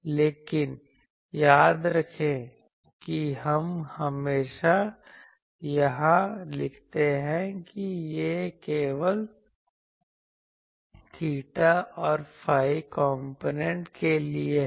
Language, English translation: Hindi, But remember that is why we always write here that it is for theta and phi components theta and phi components only